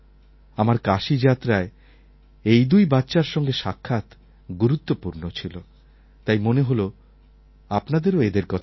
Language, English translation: Bengali, Meeting these kids was a very special experience that I had on my Kashi visit